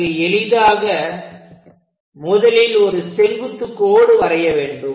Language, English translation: Tamil, So, the easiest thing is, first of all, construct a perpendicular line